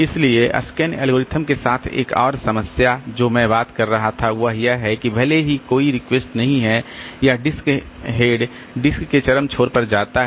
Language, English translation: Hindi, So, another problem with the scan algorithm that I was talking about is that even if there is no request or disk head goes to the extreme end of the disk